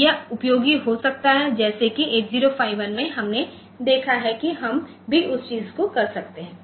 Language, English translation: Hindi, So, that can be that can be useful just like in 8051 we have seen here also we can do that thing